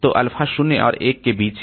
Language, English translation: Hindi, So, alpha is between 0 and 1